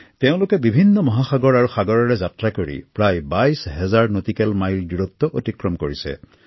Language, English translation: Assamese, They traversed a multitude of oceans, many a sea, over a distance of almost twenty two thousand nautical miles